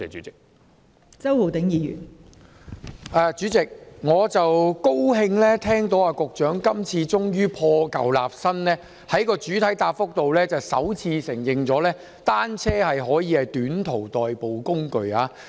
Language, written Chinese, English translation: Cantonese, 代理主席，我高興聽到局長今次終於破舊立新，在主體答覆中首次承認單車可以作為短途代步工具。, Deputy President I am glad to hear that the Secretary has finally discarded the old to establish the new and admitted for the first time in the main reply that bicycles can be used as short commuting facility